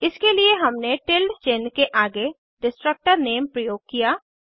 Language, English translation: Hindi, For this we use a tilde sign followed by the destructors name